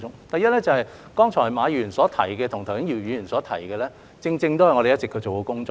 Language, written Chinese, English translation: Cantonese, 第一，剛才馬議員提及的，以及剛才姚議員提及的，正正是我們一直做的工作。, First what Mr MA just mentioned and also what Mr YIU just mentioned are precisely what we have been doing